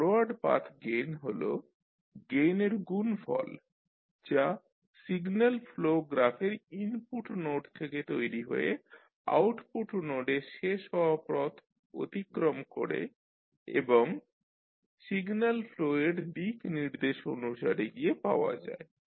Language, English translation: Bengali, Forward Path gain is the product of gain found by traversing the path from input node to the output node of the signal flow graph and that is in the direction of signal flow